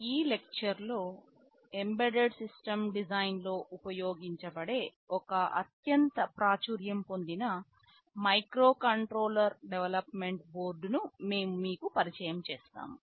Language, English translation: Telugu, In this lecture we shall be introducing you to one very popular microcontroller development board that is used in embedded system design